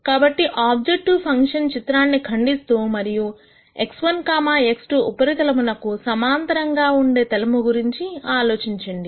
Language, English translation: Telugu, So, think about a plane that cuts this objective function plot parallel to the x 1, x 2 surface